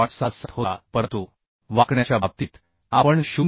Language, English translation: Marathi, 67 but in case of bending we consider 0